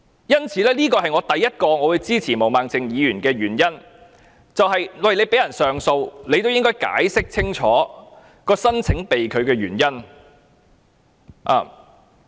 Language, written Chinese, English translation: Cantonese, 這是我支持毛孟靜議員的議案的第一個原因，既然政府允許被拒人士上訴，就要解釋清楚申請被拒的原因。, This is the first reason why I support Ms Claudia MOs motion . Since the Government allows the person who has been refused entry to appeal it should clearly explain why the visa application was denied